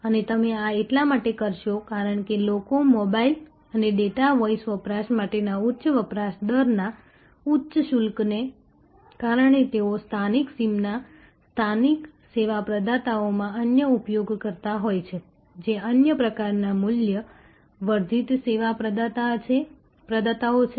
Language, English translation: Gujarati, And this you will do because people, because of that high usage rate high charges for mobile and data voice usage they have been using other in a local sim’s local service providers are different other types of value added service provider